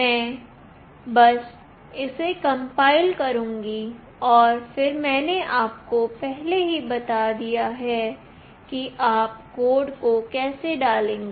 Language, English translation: Hindi, I will just compile it and then I have already told you, how you will dump the code